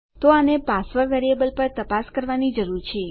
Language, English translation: Gujarati, So we only need to check this on one of the password variables